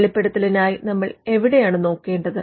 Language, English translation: Malayalam, So, where do you look for a disclosure